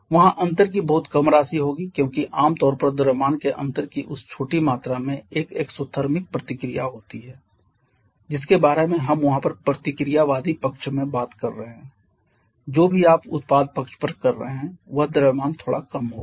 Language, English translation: Hindi, There will be very minute amount of difference because that small amount of difference of mass generally on the an exothermic reaction we are talking about there on the reactant side whatever mass you are getting on the product side the mass will be slightly lesser